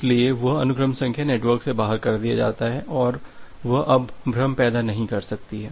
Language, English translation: Hindi, So, that sequence number is out from the network and that cannot create a confusion anymore